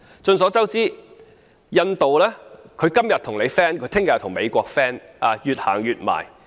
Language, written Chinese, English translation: Cantonese, 眾所周知，印度今天可以和你友好，明天卻可以和美國友好，而且越走越近。, As we all know India can get friendly with you today but get friendly with and draw ever closer to the United States tomorrow